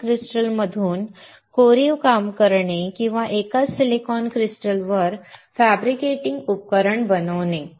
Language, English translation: Marathi, Carving from a single stone or making a fabricating a device on a single silicon crystal